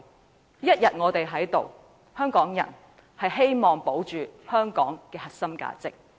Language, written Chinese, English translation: Cantonese, 我們一天在此，便要為香港人保住香港的核心價值。, As long as we are here we will continue to uphold Hong Kongs core values